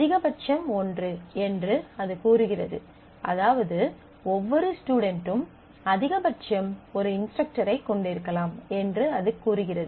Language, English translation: Tamil, It says maximum is one; which says that every student can have at most one instructor